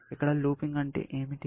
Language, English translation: Telugu, Here, what does looping mean